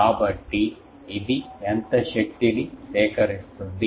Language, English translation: Telugu, So, how much power it will collect